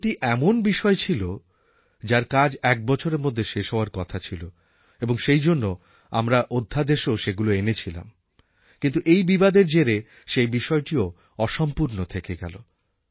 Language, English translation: Bengali, This job was related to 13 points which were to be completed within a year and so we brought the ordinance, but due to these disputes the issue got stuck